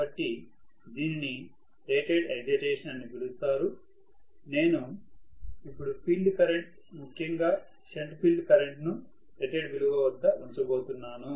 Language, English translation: Telugu, So, only that is known as the rated excitation, so I am going to keep the field current, shunt field current especially at rated value